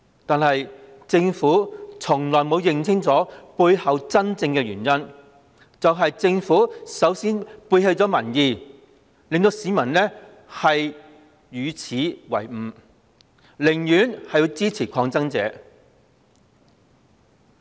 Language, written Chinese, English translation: Cantonese, 然而，政府從未認清背後的真正原因是它首先背棄民意，令市民耻與為伍，寧願支持抗爭者。, But the Government itself has never grasped the true cause behind all this namely it turning its back on popular will in the first place making the people feel ashamed to stand on its side and rendering them prepared to support the protesters